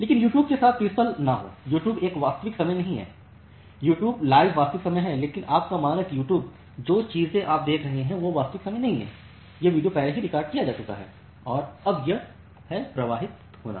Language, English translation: Hindi, But do not get confused with YouTube, YouTube is not a real time, YouTube live is real time, but your standard YouTube the thing that you are watching now it is not real time, it is the video has been already recorded and now it is getting streamed